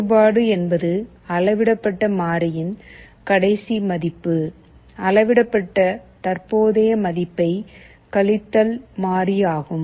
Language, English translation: Tamil, Derivative means the difference; last value of the measured variable minus the present value of the measured variable